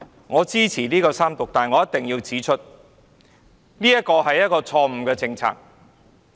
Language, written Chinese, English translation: Cantonese, 我支持三讀，但我一定要指出這是一項錯誤的政策。, I support the Third Reading but I must say that this is a wrong policy